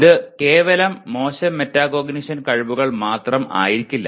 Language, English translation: Malayalam, It would not be exclusively poor metacognition skills